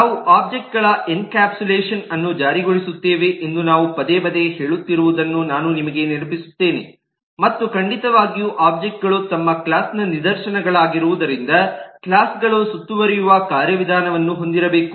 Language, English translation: Kannada, i would also remind you of the fact that we have repeatedly been saying that we will enforce encapsulation of the object and certainly, since objects are instances of their classes, the classes must have a mechanism to encapsulate